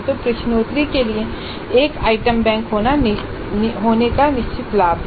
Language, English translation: Hindi, So, there is a definite advantage in having an item bank for the quizzes